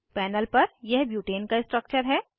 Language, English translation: Hindi, This is the structure of butane on the panel